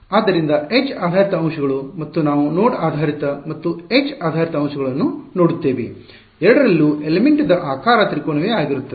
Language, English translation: Kannada, So, edge based elements and we will we will look at both node based and edge based elements, the element shape remains the same so, triangle ok